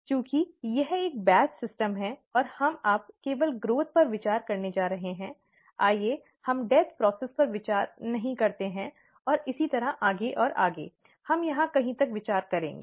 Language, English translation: Hindi, Since this is a batch system, and we are going to consider only the growth now, let us not consider the death process here and so on and so forth, we will consider till somewhere here